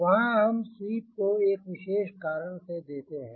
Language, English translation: Hindi, there we give the sweep for distance reason